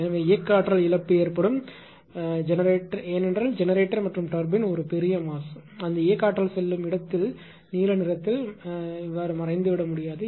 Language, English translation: Tamil, So, there will be loss of kinetic energy because generator and ah turbine is a huge mass where that kinetic energy goes it cannot be vanished into the blue right